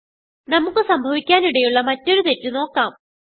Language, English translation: Malayalam, Now we will see another common error which we can come across